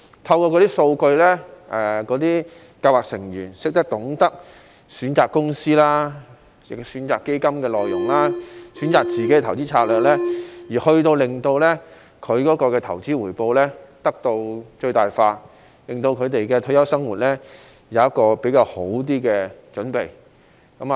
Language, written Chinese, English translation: Cantonese, 透過那些數據資料，計劃成員便懂得選擇公司、基金內容、個人投資策略，令他們的投資回報得到最大化，為他們的退休生活作較好的準備。, With those data and information scheme members will know how to choose companies fund contents and personal investment strategies to maximize their investment returns and can be better prepared for their retirement